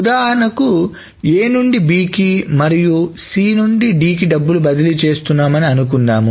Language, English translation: Telugu, So the example is that suppose A is transferring money to B and C is transferring money to D